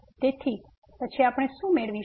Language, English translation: Gujarati, So, what do we get then